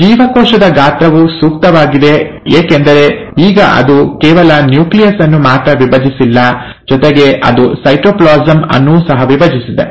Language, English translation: Kannada, The cell size is appropriate because now, it has not only divide the nucleus, it has divide the cytoplasm